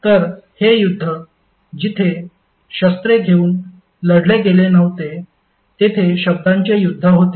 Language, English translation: Marathi, So this war war is not a war we fought with the weapons, but it was eventually a war of words